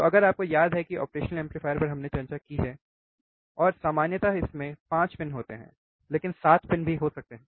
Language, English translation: Hindi, So, if you remember the operation amplifier we have discussed, there are 5 main pins of course, there 7 pin op amp